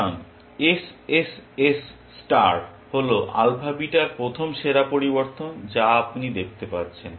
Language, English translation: Bengali, So, SSS star is the best first variation of alpha beta you can see